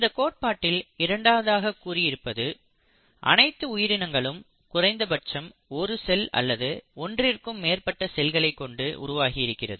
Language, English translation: Tamil, Also the second point of this theory is each organism, each living organism is made up of at least one cell or more than one cell